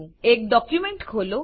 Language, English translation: Gujarati, Lets open a document